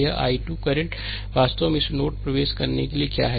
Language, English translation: Hindi, This i 2 current actually is your what to call entering into this node